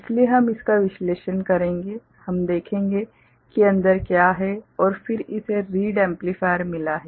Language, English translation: Hindi, So, we shall analyze it, we shall see what is there inside and then we have got read amplifier